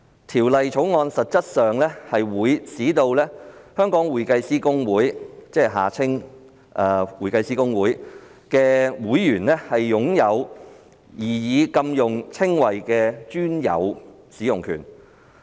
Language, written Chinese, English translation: Cantonese, 《條例草案》實質上會使香港會計師公會的會員擁有擬議的額外指定禁用稱謂的專有使用權。, In essence the Bill will give members of the Hong Kong Institute of Certified Public Accountants HKICPA exclusive right to use the proposed additional specified prohibited descriptions